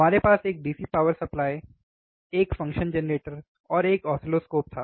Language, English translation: Hindi, We had a DC power supply, a function generator, and an oscilloscope